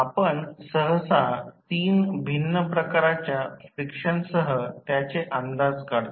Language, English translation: Marathi, We generally approximate with 3 different types of friction